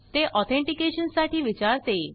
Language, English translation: Marathi, It asks for authentication